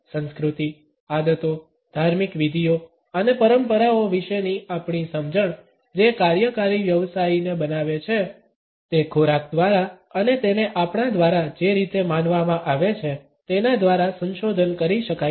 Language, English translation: Gujarati, Since our understanding of culture, habits, rituals and traditions which mould a working professional can be explode through food and the way it is perceived by us